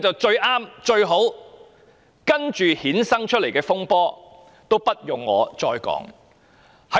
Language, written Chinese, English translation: Cantonese, 接下來衍生的風波，也不用我再多說了。, I think there should be no need for me to elaborate further on the ensuing controversies